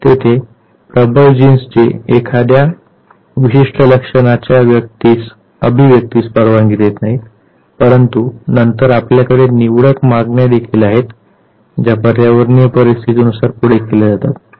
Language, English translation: Marathi, There is dominant gene that does not allow the expression of a particular trait, but then you also have selective demands that are put forward by the environmental conditions